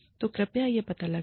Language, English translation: Hindi, So, please find that out